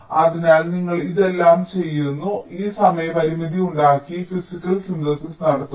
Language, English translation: Malayalam, so you do all these things so that these timing constraints, whatever was there was made, physical synthesis is done